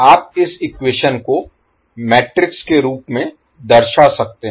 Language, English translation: Hindi, You can represent this equation in matrix form